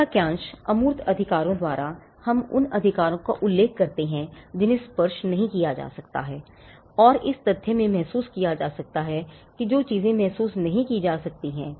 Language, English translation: Hindi, Now, intangible, by the phrase intangible rights we refer to rights that cannot be touched and felt in the fact that things that we cannot feel